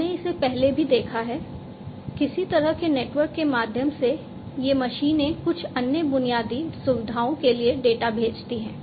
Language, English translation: Hindi, We have seen this before, through some kind of a network, through some kind of a network, these machines are going to send the data to some other infrastructure